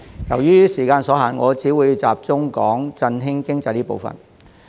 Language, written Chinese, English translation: Cantonese, 由於時間所限，我只會集中談談振興經濟這個部分。, Due to time constraints I will only focus on the part about boosting the economy